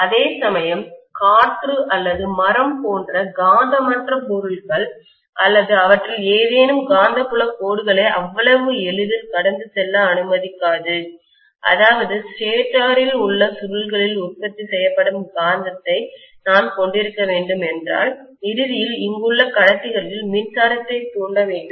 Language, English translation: Tamil, Whereas, the non magnetic materials like air or wood or any of them will not allow the magnetic field lines to pass through so easily; which means if I have to have probably the magnetism produced in the coils here in the stator and ultimately, I have to induce electricity in the conductors here